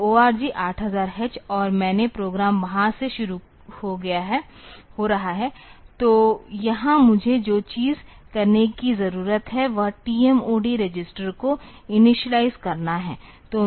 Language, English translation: Hindi, So, ORG 8000 H and the main program is starting from there; so here the thing that I need to do is initialize that TMOD register